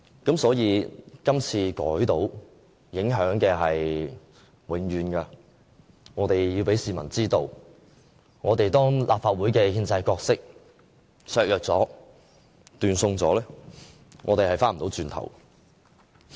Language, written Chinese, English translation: Cantonese, 今次修改成功，影響是永遠的，我們要讓市民知道，當立法會的憲制角色被削弱和斷送後，是不能走回頭的。, But the amendments if approved will affect our future generations . Hence we have to let people know that once we weaken or destroy the constitutional role of the Legislative Council we cannot undo the damage that has been done